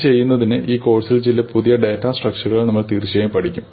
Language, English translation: Malayalam, In order to do this, we will of course cover some new data structures in this course